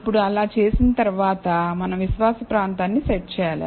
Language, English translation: Telugu, Now, after doing so, we need to set the confidence region